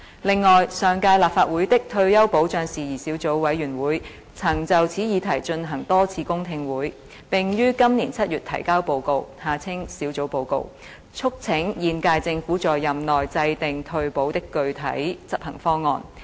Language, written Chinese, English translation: Cantonese, 另外，上屆立法會的退休保障事宜小組委員會曾就此議題進行多次公聽會，並於今年7月提交報告，促請現屆政府在任期內制訂退保的具體執行方案。, On the other hand the Subcommittee on Retirement Protection of the last Legislative Council held a number of public hearings on the matter and submitted its report in July this year urging the incumbent Government to formulate a concrete execution plan for retirement protection within its term of office